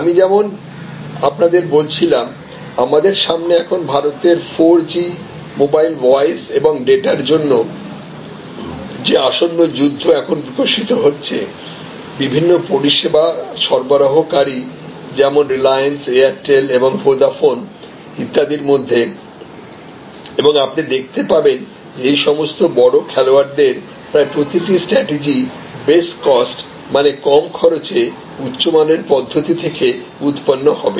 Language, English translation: Bengali, And as I was mentioning this coming battle for 4G mobile voice and data in India will show you as it is evolving right now and different service providers like Reliance and Airtel and Vodafone or coming, you will see that almost every strategy of all these major players will be derived out of this best cost that is low cost high quality approach